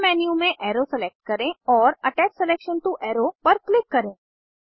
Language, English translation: Hindi, In the Submenu select Arrow and Click on Attach selection to arrow